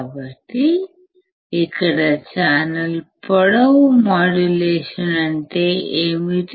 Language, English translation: Telugu, So,, let us see what is channel length modulation